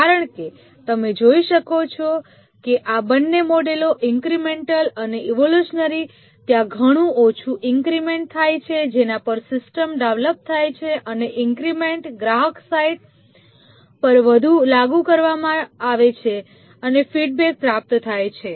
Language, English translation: Gujarati, Because as I can see that in both these models incremental and evolutionary, there are small increments over which the system is developed and these increments are deployed at the customer site and feedback obtained